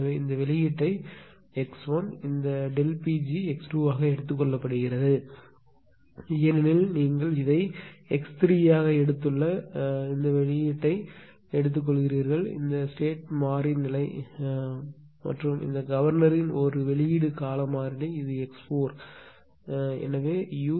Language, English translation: Tamil, So, this this one we have taken out this output is taken as x 1 right, this delta P g is taken as x 2 in between because you have to make it a state variable this ah output of this one you have taken as x 3 and this one output of this governor time this is x 4 right and this is u this thing